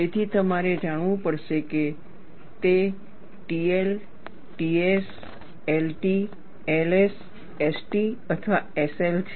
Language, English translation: Gujarati, So, you will have to know, whether it is a TL, TS, LT, LS, ST or SL